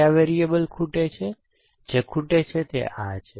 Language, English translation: Gujarati, What are the variables which are missing the variables, which are missing are that